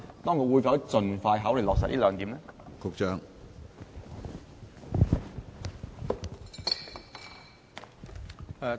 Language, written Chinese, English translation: Cantonese, 當局會否盡快考慮落實這兩點？, Will the authorities consider implementing these two measures as soon as possible?